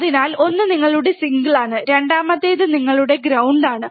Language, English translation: Malayalam, So, one is your single, and second is your ground, second is your ground right